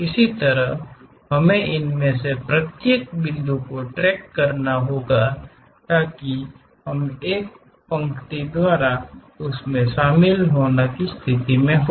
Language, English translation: Hindi, In the similar way we have to track it each of these points so that, we will be in a position to join that by a line